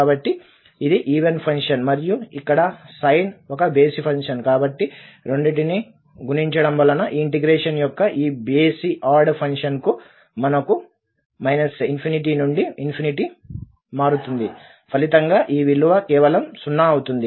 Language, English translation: Telugu, So, this is even function and then here the sine is an odd function, so as multiplication of the two we have this odd integrand of this integral which varies from minus infinity to plus infinity, and as a result this value will be just 0